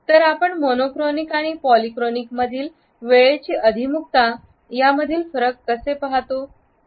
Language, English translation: Marathi, So, how do we look at the differences between the monochronic and polychronic orientations of time